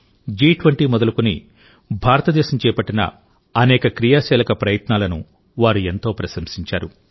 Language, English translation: Telugu, They have highly appreciated India's proactive efforts regarding G20